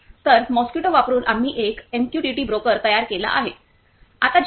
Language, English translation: Marathi, So, using Mosquito, we have created a MQTT broker